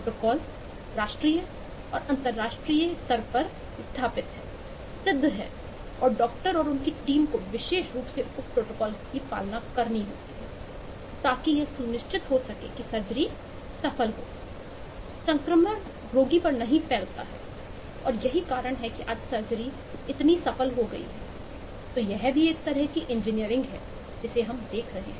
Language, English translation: Hindi, the protocol is nationally or internationally be established, proven, and the doctor and the team has to specifically follow the protocols to ensure that the surgeries succeeds, the infection is not propagated to the patient, and so on, and that is the reason that surgery today has become so success